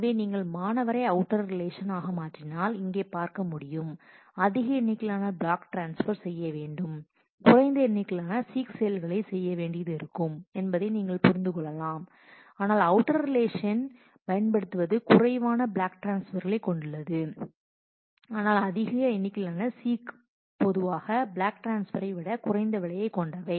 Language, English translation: Tamil, So, you can understand you can see here that if you make student as a outer relation then you have much larger number of block transfers though you need to do less number of seek, but taking, but using takes as a outer relation you have much less block transfers, but more number of seek usually seek is less expensive than less costly than the block transfer